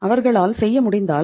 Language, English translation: Tamil, If they are able to do it